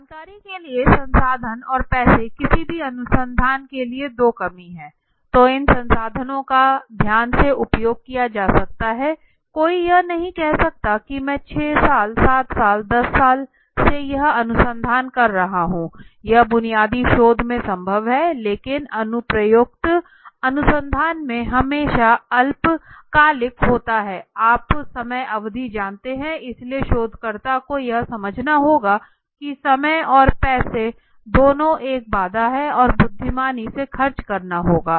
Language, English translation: Hindi, For information that means time and resource and money are two constraints for any research right, so these two constraints these two resources have to be utilized carefully one cannot say that I am conducting a research for 6 years 7 years 10 years yeah that is possible in some pure research basic research but in applied research we always have short term you know time durations so researcher has to understand that time and money both are a constraint and one has to spend wisely okay